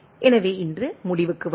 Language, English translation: Tamil, So, let us conclude today